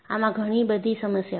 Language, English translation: Gujarati, In this, you have several issues